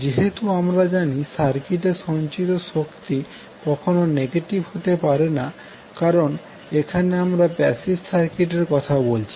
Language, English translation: Bengali, The as we know the energy stored in the circuit cannot be negative because we are talking about the circuit which is passive in nature